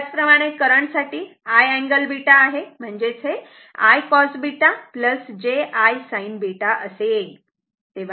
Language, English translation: Marathi, Similarly, current I told you it is I cos beta plus j I sin beta